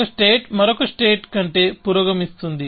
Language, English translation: Telugu, So, a state could progress over another state